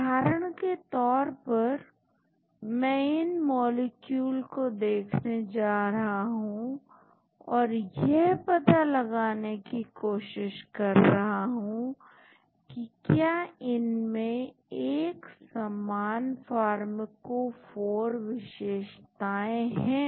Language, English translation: Hindi, For example, I am going to look at these molecules and see whether they have similar pharmacophore features